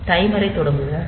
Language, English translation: Tamil, So, the timer will start